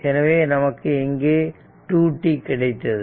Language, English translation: Tamil, So, this is minus t 0 right